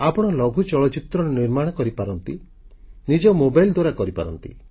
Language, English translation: Odia, You can make a short film even with your mobile phone